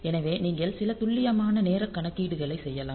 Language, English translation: Tamil, So, you can so that can do some precise timing calculations